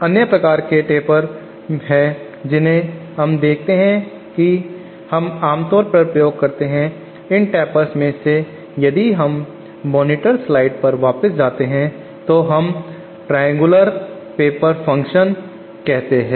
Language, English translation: Hindi, There are other kinds of tapers that we see that we commonly use, one of these tapers if we go back to the monitor slides is what we call triangular paper function